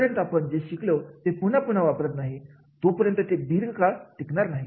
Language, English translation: Marathi, Unless and until whatever we have learned we do not repeat it, it will not be long lasting